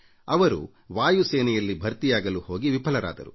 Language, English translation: Kannada, He appeared at the test for recruitment into the Air Force, and failed in that